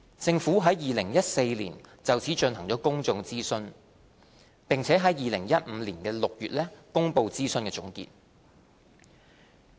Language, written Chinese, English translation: Cantonese, 政府在2014年就此進行了公眾諮詢，並在2015年6月公布諮詢總結。, The Government conducted a public consultation in this connection in 2014 and released consultation conclusions in June 2015